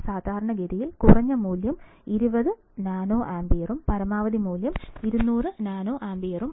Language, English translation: Malayalam, Typically, the minimum value is 20 nanometer and the maximum value is 200 nanometer